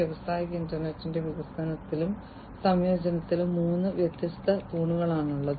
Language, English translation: Malayalam, So, these are the three different pillars in the development and incorporation of industrial internet